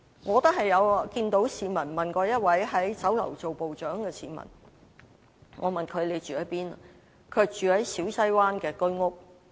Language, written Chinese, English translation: Cantonese, 我曾問一名在酒樓任職部長的市民住在哪裏，他說住在小西灣的居屋。, I once asked a captain in a Chinese restaurant where he lived . He said that he lived in an HOS flat in Siu Sai Wan